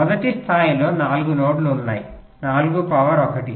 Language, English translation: Telugu, first level: there are four nodes